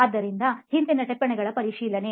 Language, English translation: Kannada, So verification of previous notes